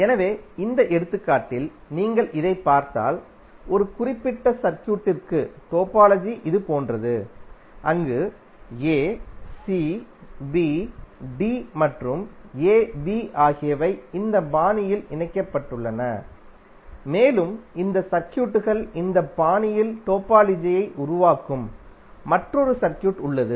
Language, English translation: Tamil, So in this example if you see this the topology of one particular circuit is like this where a, c, b, d and a b are connected in this fashion and there is another circuit where you create the topology in this fashion where these elements are connected like this and third one where the circuits are connected in a triangular fashion